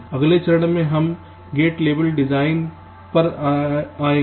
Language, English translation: Hindi, ok, in in the next step we come to the gate level design